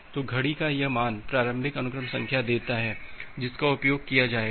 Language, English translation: Hindi, So, this value of the clock it gives the initial sequence number which will be being used